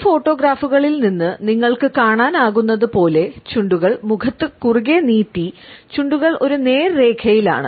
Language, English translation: Malayalam, As you can make out from these photographs the lips are is stretched tight across face and the lips are in a straight line